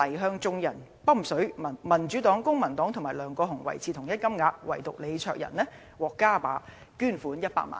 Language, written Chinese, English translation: Cantonese, 今年年中，黎再向眾人'揼水'，民主黨、公民黨及梁國雄維持同一金額，唯獨李卓人獲加碼捐款100萬元"。, While the Democratic Party the Civic Party and LEUNG Kwok - hung received the same amount as last time LEE Cheuk - yan alone received an increased sum of 1 million